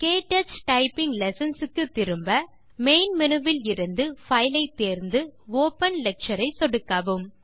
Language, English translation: Tamil, To go back to the KTouch typing lessons,from the Main menu, select File, click Open Lecture